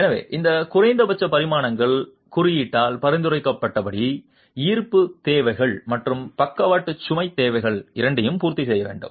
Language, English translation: Tamil, So, those minimum dimensions have to satisfy both gravity requirements and the lateral load requirements as prescribed by the code